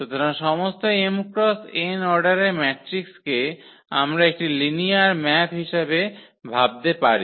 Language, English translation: Bengali, So, all matrices of order this m cross n we can think as linear map